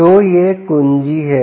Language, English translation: Hindi, so this is the key